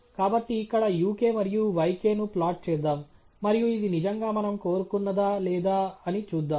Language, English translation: Telugu, So, let’s simply plot here uk and yk, and see if this is what indeed we wanted yeah